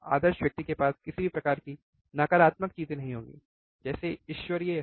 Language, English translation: Hindi, Ideal person would not have any kind of negative things, right is a godly